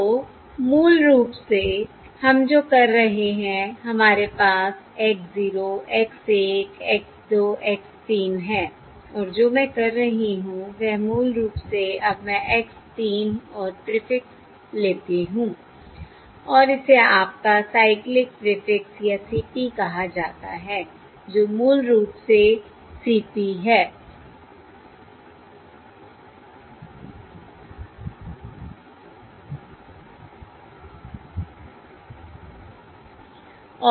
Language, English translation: Hindi, So basically what we are doing is we have X, 0, X, 1, X, 2, X, 3, and what I am doing is basically now I take X, 3 and prefix, and this is termed as your cyclic prefix or CP, are basically the CP